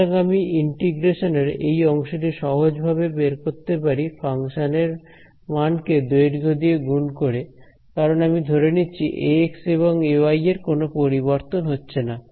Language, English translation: Bengali, So, I can approximate this part of the integral simply by the value of the function at this point multiplied by the length because we are assuming A x and A y do not change